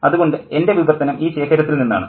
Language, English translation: Malayalam, So my translation is from this collection